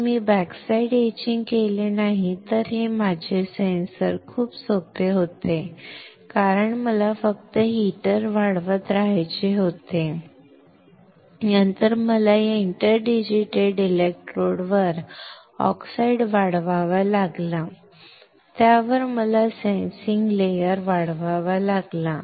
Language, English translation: Marathi, If I do not do this backside etching then my sensor becomes extremely easy, because I had to just keep on growing the heater, then I had to grow the oxide on that interdigitated electrodes, on that I had to grow the sensing layer that is it